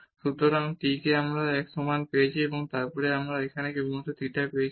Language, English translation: Bengali, So, we have taken the t is equal to one and then we get here just only theta